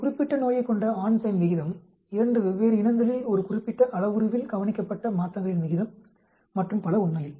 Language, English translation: Tamil, Proportion of male to female having a particular disease, proportion of observed changes in a certain parameter in 2 different species and so on actually